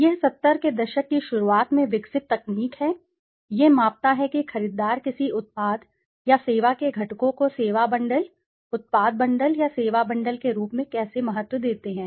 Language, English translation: Hindi, It is a technique developed in the early 70 s, it measures how buyers value components of a product or service as a service bundle, product bundle or service bundle